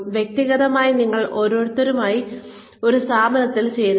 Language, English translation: Malayalam, Individually, you join an organization